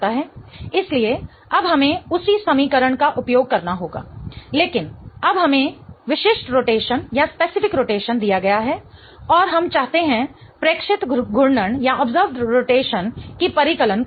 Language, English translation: Hindi, So, now we have to use the same equation but now we have been given the specific rotation and we want to calculate the observed rotation